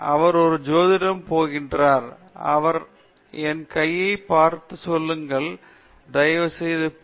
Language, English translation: Tamil, He is going to an astrologer and palmist; he is saying to please look at my hand, please tell me, when I will get my Ph